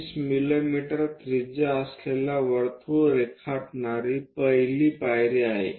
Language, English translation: Marathi, The first step is 20 mm radius drawing a circle